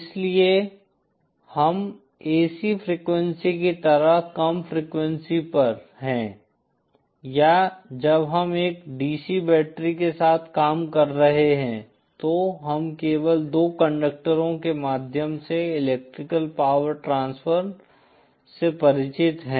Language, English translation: Hindi, So we are at low frequency like AC frequency or when we are dealing with a DC battery, we are familiar with electrical power transfer only by means of two conductors